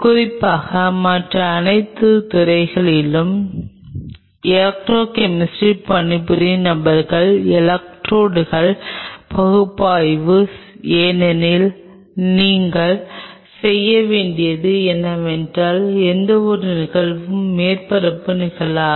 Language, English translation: Tamil, Especially, people who does work on electrochemistry in all other fields’ analysis of electrodes because, you have to because anything any phenomena which is a surface phenomenon